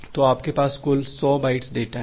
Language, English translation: Hindi, So, you have total 100 bytes of data